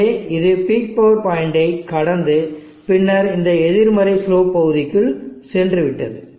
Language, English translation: Tamil, So it has crossed the peak power point and then gone into this negative slope region